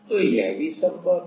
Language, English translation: Hindi, So, that is also possible